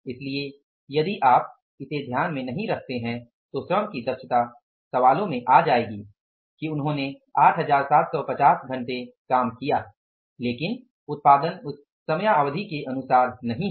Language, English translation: Hindi, So, if you do not take this into account the efficiency of the labor will come in the question that they worked for 875 hours but the output is not according to that period of time